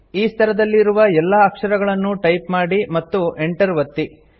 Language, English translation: Kannada, Complete typing all the characters in this level and press the Enter key